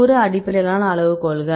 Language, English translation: Tamil, Distance based criteria